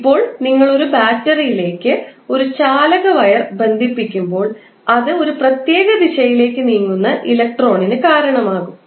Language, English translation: Malayalam, Now, when you are connecting a conducting wire to a battery it will cause electron to move in 1 particular direction